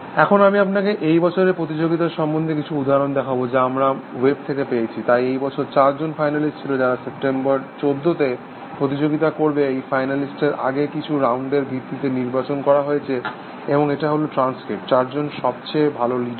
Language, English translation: Bengali, Let me just show you, some examples of this year’s competition, which I got from the web, so this year, there are four finalist, who are going to compete on September 14, this finalist have been selected based on some earlier rounds, and this is the transcript from,